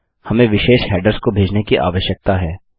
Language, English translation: Hindi, We need to send to specific headers